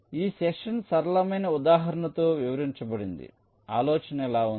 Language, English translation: Telugu, so this session illustrated with a simple example